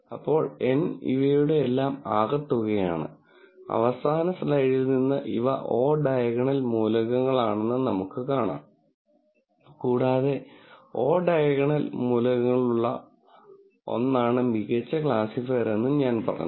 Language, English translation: Malayalam, Now, because N is a sum of all of these and we notice from the last slide that these are the o diagonal elements and I said the best classifier is one which has 0 o diagonal elements